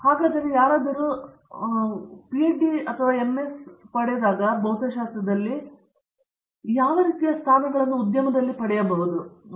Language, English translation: Kannada, And if so, when somebody graduates with an MS or PhD, what sort of positions do they get both industry and otherwise also go